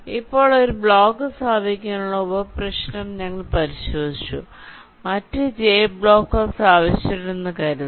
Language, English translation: Malayalam, ok now, so we have looked at the sub problem for placing one block only, assuming the other j blocks are placed